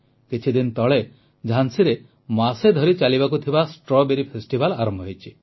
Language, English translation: Odia, Recently, a month long 'Strawberry Festival' began in Jhansi